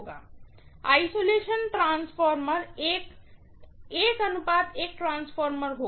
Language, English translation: Hindi, The isolation transformer, all it does is it will be a 1 is to 1 transformer